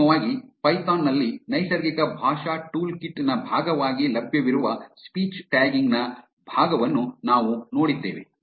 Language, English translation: Kannada, Finally, we looked at part of speech tagging available as part of the natural language toolkit in python